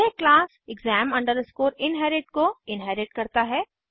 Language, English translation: Hindi, This inherits the class exam inherit